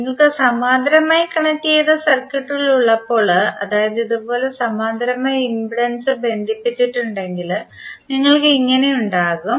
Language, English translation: Malayalam, This happens specifically when you have parallel connected circuits like if you have impedance connected in parallel like this